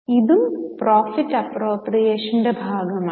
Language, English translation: Malayalam, This is called as appropriation of profit